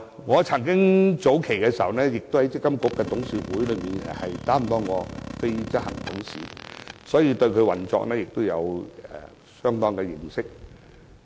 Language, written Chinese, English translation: Cantonese, 我曾經出任積金局董事會的非執行董事，所以，對積金局的運作有相當認識。, I used to serve as a non - executive director of the Management Board of MPFA and therefore have some knowledge of the operation of MPFA